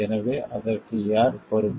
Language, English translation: Tamil, So, who is responsible for that